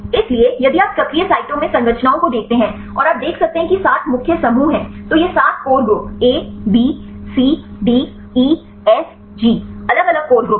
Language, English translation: Hindi, So, then if you look into the structures in the active sites and you can see there are 7 core groups; so, these are a 7 core group A, B, C D, E, F, G different core groups